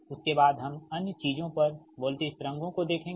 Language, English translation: Hindi, right after that we will see voltage, other things, right